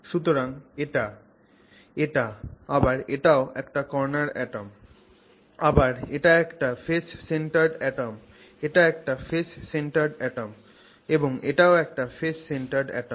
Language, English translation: Bengali, So this is a phase centered atom, phase centered atom, that is a face centered atom and this is a phase centered